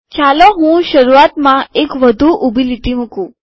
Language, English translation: Gujarati, Let me put one more vertical line at the beginning